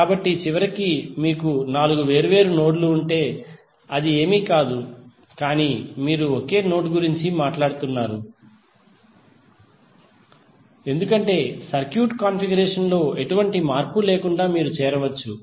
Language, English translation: Telugu, So eventually if you have four different nodes it is nothing but you are talking about one single node, because you can join then without any change in the circuit configuration